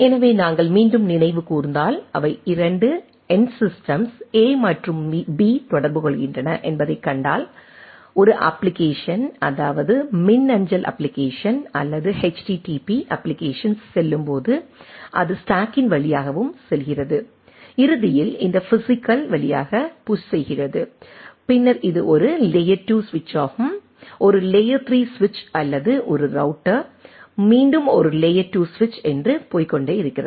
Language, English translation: Tamil, So, and if we again if you recall, so if we see that they if 2 end systems a and b are communicating, so a application say email application or HTTP applications when it goes through, it goes through the stack and finally, push through this physical and then goes to this is a layer 2 switch, there is a layer 3 switch or a router again a layer 2 switch and go on